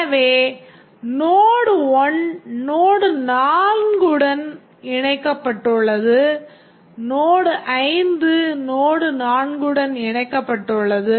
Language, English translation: Tamil, So, node 1 is connected to node 4, node 5 is connected to node 4